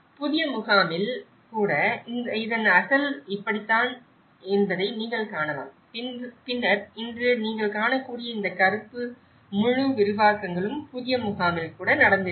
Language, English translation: Tamil, Even in the new camp, you can see this is how the original part of it and then now today what you can see is a black, the whole expansions have taken place even in the new camp